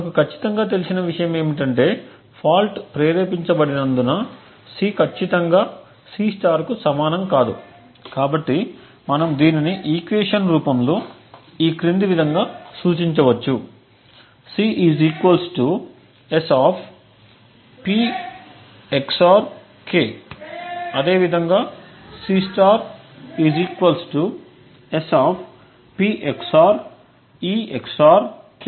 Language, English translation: Telugu, What we definitely know is that since the fault is induced, C will definitely not be equal to C*, so we can represent this in an equation form as follows, C = S[P XOR k] similarly this will be equal to C* = S[ P XOR e XOR k]